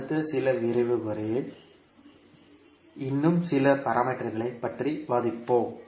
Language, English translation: Tamil, We will discuss few more parameters in the next few lectures